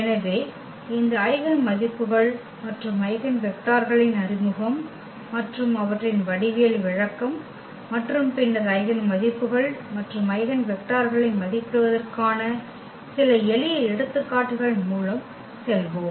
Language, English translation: Tamil, So, we will go through the introduction of these eigenvalues and eigenvectors and also their geometrical interpretation and, then some simple examples to evaluate eigenvalues and eigenvectors